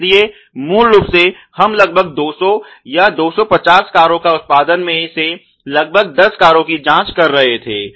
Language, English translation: Hindi, So, basically let us say in a production level of about 200 or 250 cars, you were checking about 10 cars